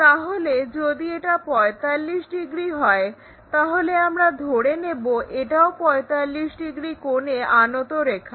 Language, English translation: Bengali, So, if this is 45 degrees let us consider, this one also 45 degrees line, we will draw it from this point